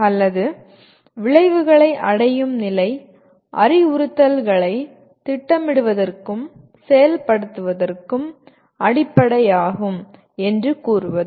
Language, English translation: Tamil, Or saying that the level of achievement of outcome is the basis for planning and implementing instructs